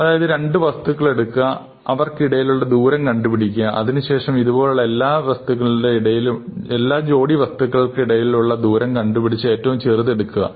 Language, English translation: Malayalam, So, you compute the distance between any two objects and then after doing this for every pair you take the smallest value